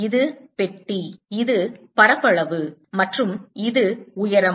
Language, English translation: Tamil, this is the box, this is the area and this is the height